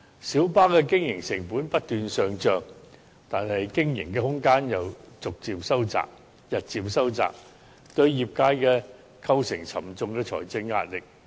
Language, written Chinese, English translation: Cantonese, 小巴的經營成本不斷上漲，但經營空間又日漸收窄，對業界構成沉重的財政壓力。, While the operational costs of minibuses keep rising the room for operation is shrinking on the day imposing a heavy financial burden on the trade